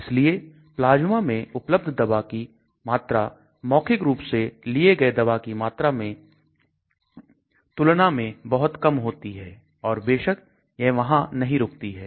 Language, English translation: Hindi, So what is available in the plasma could be much less than what is taken in orally and of course it does not stop there